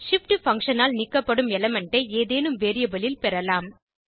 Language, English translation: Tamil, We can collect the element removed by shift function into some variable